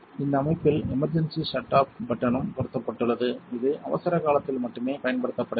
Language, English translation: Tamil, The system is also equipped with the emergency shut off button, which should be used only in the event of an emergency